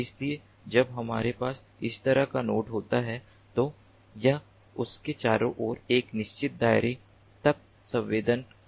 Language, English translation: Hindi, so when we have a node like this, it can sense up to a certain radius around it